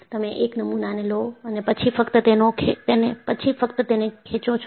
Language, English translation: Gujarati, You take a specimen and then, just pull